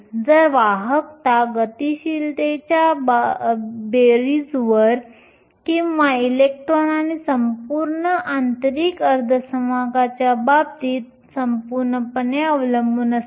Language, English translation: Marathi, So, the conductivity depends on the sum of the mobilities or both the electron and the whole in the case of an intrinsic semi conductor